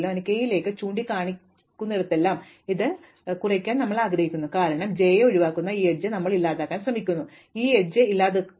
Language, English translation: Malayalam, So, wherever we have j pointing to k we want to decrement this, because we are going to eliminate this edge by eliminating j, we eliminate this edge